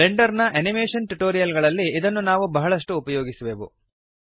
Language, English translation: Kannada, We will use this a lot in the Blender Animation tutorials